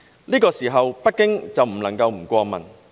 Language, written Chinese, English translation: Cantonese, 那個時候，北京過問不過問？, If that happened should Beijing intervene or not?